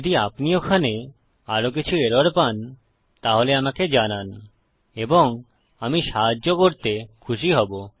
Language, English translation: Bengali, If there are other errors that you are getting, then please message me and I will be happy to help